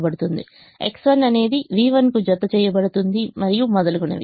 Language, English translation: Telugu, x one is mapped to v one, and so on